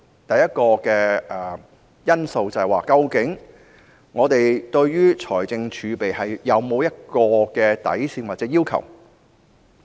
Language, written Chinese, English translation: Cantonese, 第一項因素是，我們對於財政儲備有否任何底線或要求？, The first factor is have we set any minimum level or requirement for fiscal reserves?